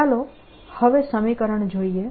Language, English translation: Gujarati, now let us look at the equation